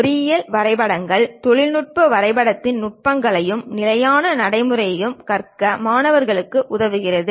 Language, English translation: Tamil, Engineering drawings enables the students to learn the techniques and standard practice of technical drawing